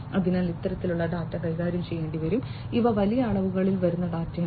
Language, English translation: Malayalam, So, these kind of data will have to be handled; you know these are data which come in huge volumes